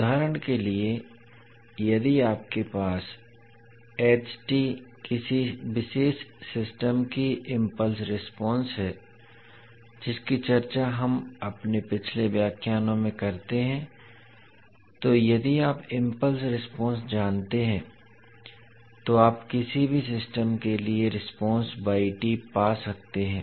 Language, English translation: Hindi, For example if you have the impulse response of a particular system that is ht, which we discuss in our previous lectures, so if you know the impulse response, you can find the response yt for any system with the excitation of xt